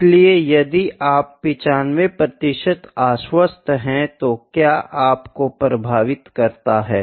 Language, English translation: Hindi, So, if you are 95 percent confidence, if you are 95 percent confident, what is the influence